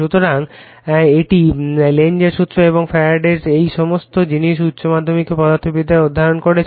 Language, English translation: Bengali, So, this is Lenz’s law and this Faradays all these things we have studied in your higher secondary physics right